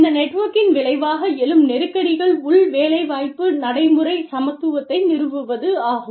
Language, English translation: Tamil, The tensions that arise, as a result of this networking, are establishment of internal employment practice equity